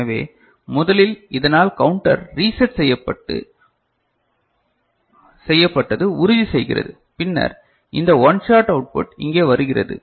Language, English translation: Tamil, So, first it is ensured that the counter is reset, by this and then this one shot output is coming here